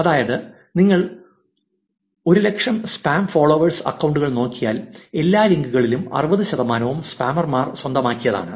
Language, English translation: Malayalam, That is if you look at the top 100,000 spam follower accounts for 60 percent of all links acquired by the spammers